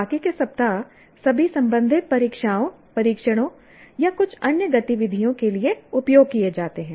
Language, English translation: Hindi, The rest of them are all used for concerned examinations or tests or some other activities